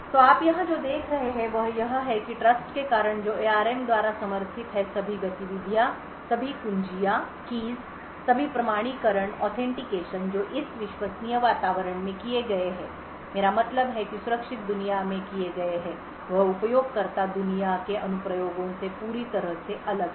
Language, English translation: Hindi, So what you see over here is that because of the Trustzone which is supported by the ARM all the activities all the keys all the authentication which is done in this trusted environment I mean the secure world is completely isolated from the user world applications